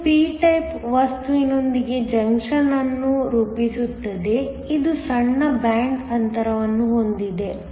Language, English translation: Kannada, This is going to form a junction with a p type material, which has a smaller band gap